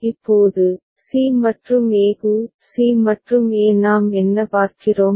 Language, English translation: Tamil, Now, for c and e; c and e what we see